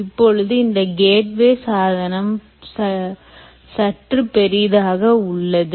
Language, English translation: Tamil, so this gateway essentially is bigger in size